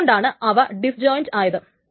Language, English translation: Malayalam, That is why it is called disjoint